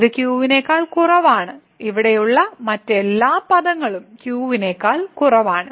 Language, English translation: Malayalam, So, this is less than and all other terms here less than